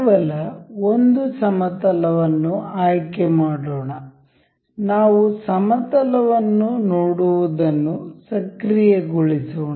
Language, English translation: Kannada, Let us just select a one plane it is, we will just enable to be see the plane